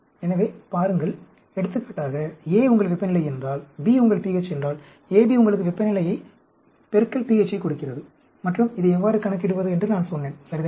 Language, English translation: Tamil, So, looků For example, if A is your temperature, B is your pH, AB gives you temperature into pH, and I told you how to calculate this, right